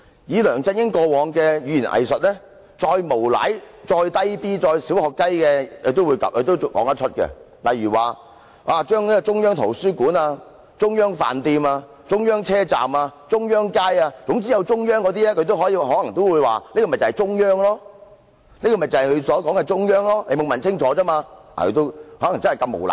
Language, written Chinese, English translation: Cantonese, 以梁振英過往的語言"偽術"，再無賴、幼稚及"小學雞"的事情他也說得出來，例如，他可能會說，中央圖書館、中央飯店、中央車站、中央街等都有"中央"兩個字，便是他口中所說的中央，只是大家沒有問清楚，他真的夠膽那樣無賴。, In consideration of his past hypocritical rhetoric he really could make dishonest childish and puerile comments . For example he may say that the central he speaks of means the Central Library the Central Restaurant the Central Terminal and the Central Street; the problem lies with us not asking specifically . He really dares make such dishonest comments